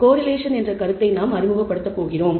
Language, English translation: Tamil, We are going to introduce the notion of correlation